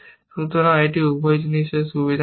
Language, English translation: Bengali, So, it is taking the advantage of both the things